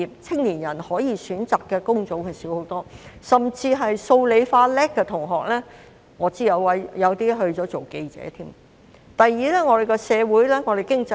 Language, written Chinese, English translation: Cantonese, 青年人可以選擇的工種大幅減少，我甚至知道有些數、理、化成績優秀的同學成為了記者。, The types of jobs available to young people have substantially reduced . I even know that some students with excellent results in mathematics physics and chemistry have become journalists